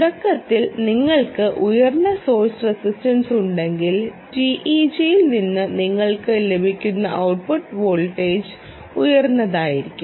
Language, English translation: Malayalam, if you have higher source resistance to begin with, the output voltage that you will get from the teg will be high